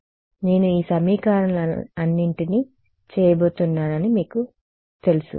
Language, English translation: Telugu, So, that you know that I am going to do it to all of these equations ok